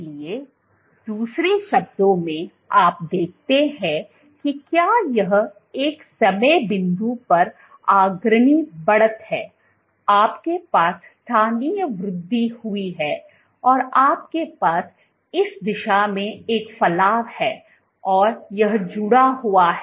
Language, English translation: Hindi, So, in other words, what you see if this is the leading edge at one time point this is you have the let us say you have a local increase you have a protrusion in this direction and this is associated, so I am drawing the initial position